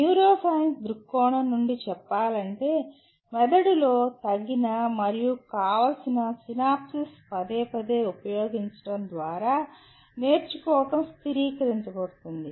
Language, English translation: Telugu, A little bit of neuroscience point of view, learning is stabilizing through repeated use certain appropriate and desirable synapses in the brain